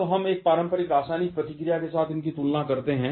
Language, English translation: Hindi, Now, we compare this with a conventional chemical reaction